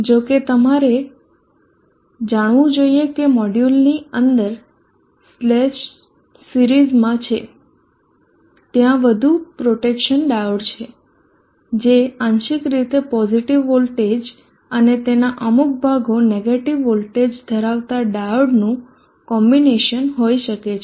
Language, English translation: Gujarati, However you should know that within the module there cells series, there are more protection diode, there could be combination of diode partially having a positive voltage and parts of them are having negative voltage